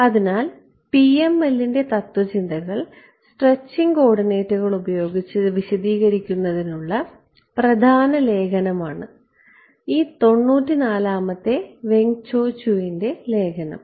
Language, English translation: Malayalam, So, the paper main the main paper which are referred to for explaining the philosophy of PML using stretched coordinates is this 94 paper by Weng Cho Chew